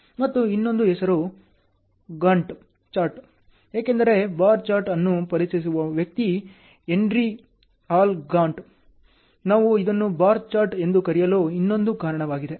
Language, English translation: Kannada, And the other name is Gantt Chart, because of the person who introduces bar chart is Henry L Gantt, that is the other reason why we call this as a bar chart